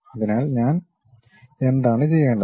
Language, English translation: Malayalam, So, what I have to do